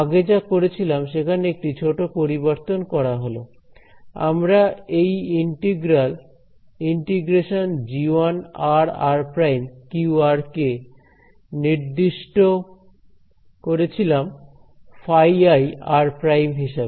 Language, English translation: Bengali, So, one small change in what we did last time we had defined this integral g 1 q r as phi I